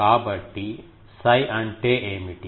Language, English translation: Telugu, So, what is psi